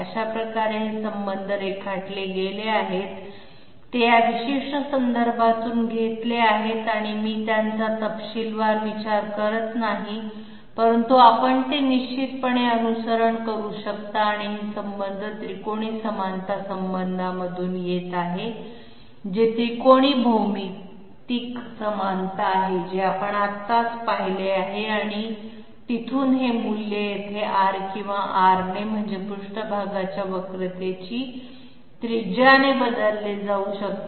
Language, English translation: Marathi, So this way these relations are drawn up, it is taken from this particular reference and I am not going through them in detail but you can definitely follow it and this is the relation which is coming from the geometric similarity triangles, triangular similarity relationship which we visited just now and from there from there this A value can be replaced here in terms of small r, big R that means radius of curvature of the surface and A okay